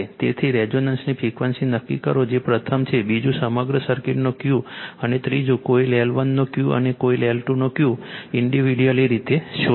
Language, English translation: Gujarati, So, determine the frequency of the resonance that is first one; second one, Q of the whole circuit; and 3 Q of coil 1 and Q of coil 2 individually